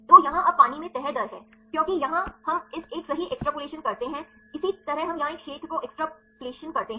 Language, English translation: Hindi, So, here now this is the folding rate in water likewise because here we extrapolate this one right likewise we extrapolate the unfolding a region here